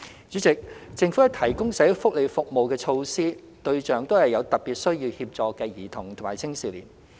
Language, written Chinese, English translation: Cantonese, 主席，政府提供的社會福利服務和措施，對象都是有特別需要協助的兒童及青少年。, President the social welfare services and measures provided by the Government are targeted at children and young people with special needs